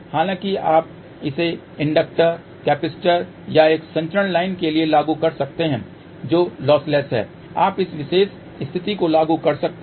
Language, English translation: Hindi, However, you can apply this for inductor, capacitor or a transmission line which is lossless you can apply this particular condition